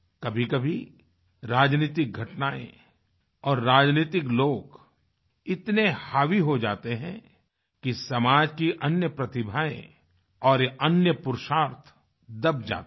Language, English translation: Hindi, At times, political developments and political people assume such overriding prominence that other talents and courageous deeds get overshadowed